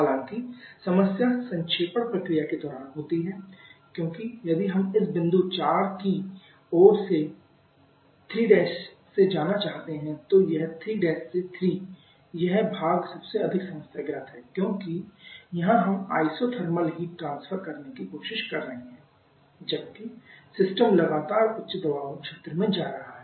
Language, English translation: Hindi, However the problem happens during the condensation process because if we want to move from this 3 Prime towards this point 4 then this 3 Prime to 3 part this part is the most problematic on because here we are trying to have isothermal heat transfer while the system is constantly moving to higher pressure zone